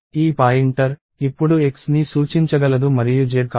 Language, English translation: Telugu, This pointer, can now point to X and not Z